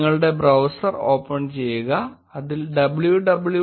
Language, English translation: Malayalam, Open your browser and click on www